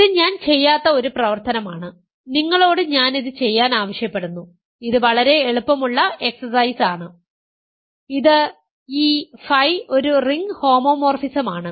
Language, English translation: Malayalam, And it is an exercise which I will not do and I will ask you to do, this is a very easy exercise, it is that phi is a ring homomorphism